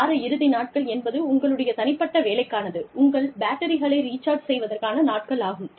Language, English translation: Tamil, The weekend is meant for people, for your personal work, for recharging your batteries